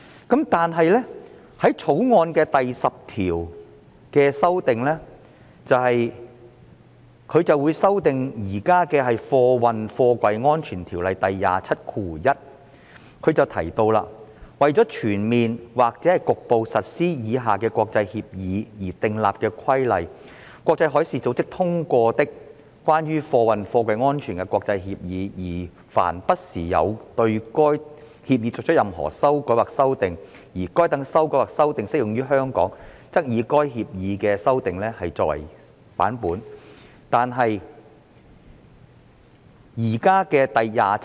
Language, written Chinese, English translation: Cantonese, 《條例草案》第10條是修訂現時《運貨貨櫃條例》的第271條，訂明："為全面或局部實施以下國際協議而訂立規例︰國際海事組織通過的、關於運貨貨櫃安全的國際協議，而凡不時有對該協議作出任何修改或修訂，而該等修改或修訂適用於香港，則以該協議經該等修改或修訂的版本為準。, Clause 10 of the Bill is to amend section 271 of the Freight Containers Safety Ordinance and it provides that to an international agreement relating to the safety of freight containers adopted by the International Maritime Organization as from time to time revised or amended by any revision or amendment that applies to Hong Kong